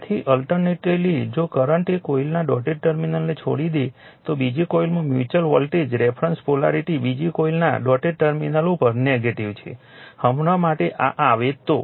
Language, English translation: Gujarati, So, alternatively if a current leaves the dotted terminal of one coil, the reference polarity of the mutual voltage in the second coil is negative at the dotted terminal of the second coil right; for a now if you come if you come to this right